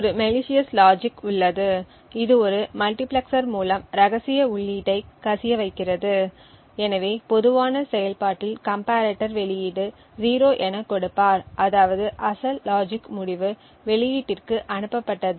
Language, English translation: Tamil, Side by side there is a malicious logic which performs for example leaks the secret input through a multiplexer so in the general operation the comparator would give an output of zero which would mean that the original logics result is sent to the output